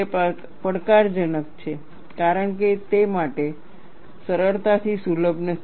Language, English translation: Gujarati, It is challenging, as it is not easily accessible